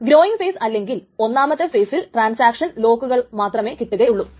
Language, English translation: Malayalam, In this growing phase or phase one, a transaction may only obtain locks